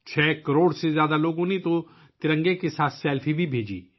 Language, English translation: Urdu, More than 6 crore people even sent selfies with the tricolor